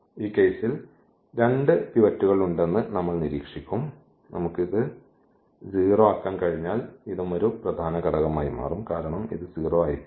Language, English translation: Malayalam, So, we will observe that there are 2 pivots in this case, when we just we can just make this to 0 and then this will become also a pivot because this will not be 0 in that case